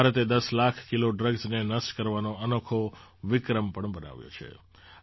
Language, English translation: Gujarati, India has also created a unique record of destroying 10 lakh kg of drugs